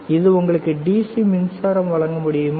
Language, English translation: Tamil, Can it give you DC power supply